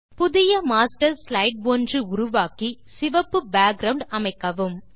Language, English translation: Tamil, Create a new Master Slide and apply the color red as the background